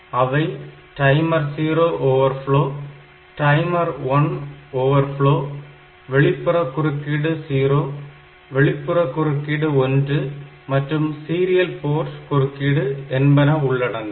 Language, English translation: Tamil, So, they are called a timer 0, timer 0 overflow, timer 1 overflow, then external interrupt 0, external interrupt 1 and serial port interrupts